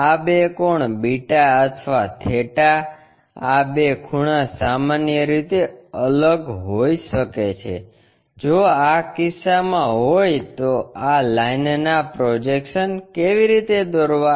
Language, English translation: Gujarati, These two angles the beta or theta, these two angles may be different in general, if that is the case how to draw the projections of this line